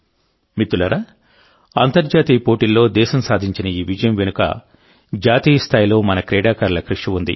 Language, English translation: Telugu, Friends, behind this success of the country in international events, is the hard work of our sportspersons at the national level